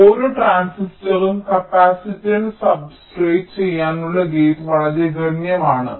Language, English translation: Malayalam, so for every transistor the gate to substrate capacitance is quite substantial